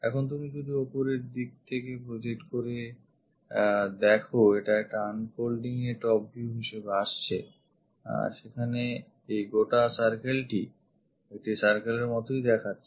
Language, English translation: Bengali, Now if you are looking the projection onto the top one unfolding it it comes as top view there this entire circle comes out like a circle there